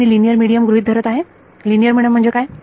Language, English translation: Marathi, So, I am going to assume a linear medium linear medium means